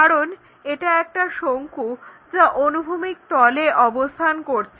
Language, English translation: Bengali, Now, if a cone is resting on a horizontal plane